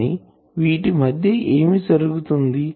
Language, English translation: Telugu, But what happens in between